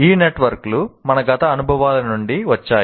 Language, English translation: Telugu, These networks may come from wide range of our past experiences